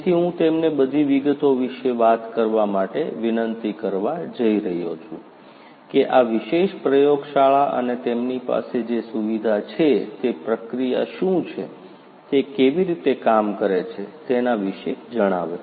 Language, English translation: Gujarati, So, I am going to request them to speak about this particular lab and the facility that they have, what is the processing that is done, how it is being done; all the details